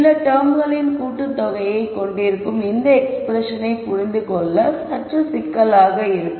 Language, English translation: Tamil, This expression where we have the sum of these terms is slightly more complicated to understand